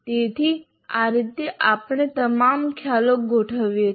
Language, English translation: Gujarati, Now how do we organize the concept map